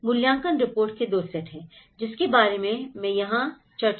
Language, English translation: Hindi, There are two sets of assessment reports, I am going to discuss here